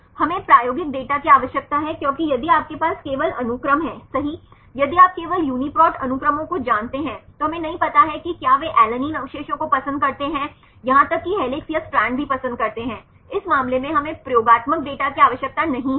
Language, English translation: Hindi, We need experimental data right because if you have only the sequences right if you know only the UniProt sequences then we do not know whether they residue alanine prefers even helix or strand we do not know in this case we need experimental data